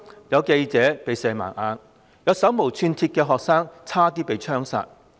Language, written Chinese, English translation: Cantonese, 有記者被射盲，亦有手無寸鐵的學生差點被槍殺。, A reporter was shot blind; an unarmed student was almost shot dead